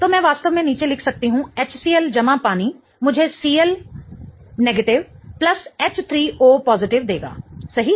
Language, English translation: Hindi, So, I can really write down HCL plus water will give me CL minus plus H3O plus, right